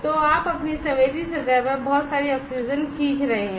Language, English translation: Hindi, So, you are drawing lot of oxygen on to your sensing surface